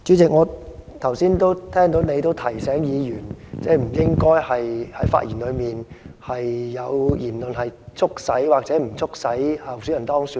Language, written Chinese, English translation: Cantonese, 主席，我剛才聽到你提醒議員，不應該在其發言中有促使或不促使候選人當選的言論。, President just now I heard that you remind Members not to make any comments in their speech that will promote or not promote the election of a candidate